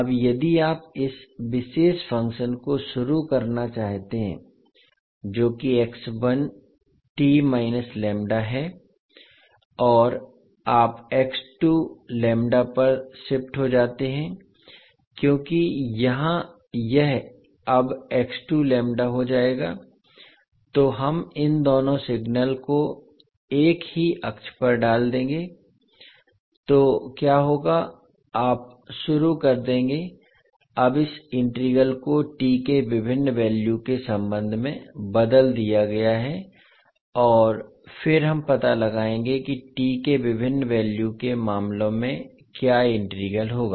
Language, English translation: Hindi, now if you start moving this particular function that is x one t minus lambda and you shift over x2 lambda because here it will become now x2 lambda, so we will put both of these signal on the same axis so what will happen you will start now shifting this integral with respect to the various values of t and then we will find out what would be the integral in the cases of different values of t